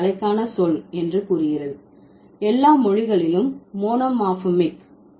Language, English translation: Tamil, It says, the word for head is monomorphic in all languages